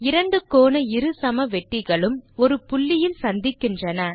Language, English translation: Tamil, We see that the two angle bisectors intersect at point